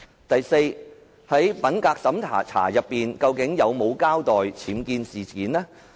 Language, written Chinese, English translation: Cantonese, 第四，在品格審查時，司長有否交代僭建事件？, Fourth during the integrity check did the Secretary for Justice come clean about the UBWs?